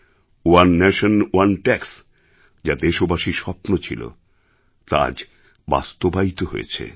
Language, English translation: Bengali, 'One Nation, One Tax' was the dream of the people of this country that has become a reality today